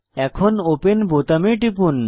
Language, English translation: Bengali, Click on Open button